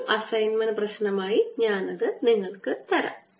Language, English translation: Malayalam, i will give that as an assignment problem